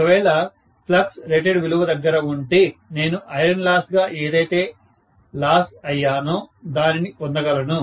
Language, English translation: Telugu, If the flux is at rated value, I should be able to get whatever is lost as the iron loss